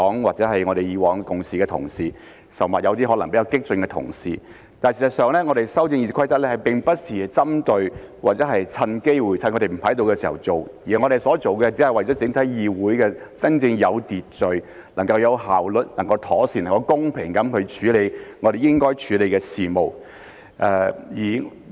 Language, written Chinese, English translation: Cantonese, 或者是以往共事的同事，甚或有些可能是比較激進的同事，但事實上，我們修訂《議事規則》並不是針對或趁機會、趁他們不在的時候去做，我們所做的只是為了整個議會能夠真正有秩序、能夠有效率、能夠妥善、能夠公平地處理我們應該處理的事務。, However the fact is that we are not targeting at or taking advantage of this opportunity to amend the RoP and to make these amendments during their absence . What we are doing is for the purpose of enabling the entire legislature to deal with matters that we ought to process in a truly orderly efficient proper and fair manner